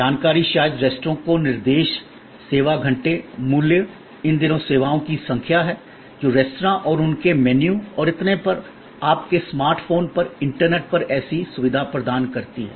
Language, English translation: Hindi, Information maybe the directions to the restaurant, the service hours, the prices, these days there are number of services, which provides such facility for restaurants and their menus and so on, on your smart phone, on the internet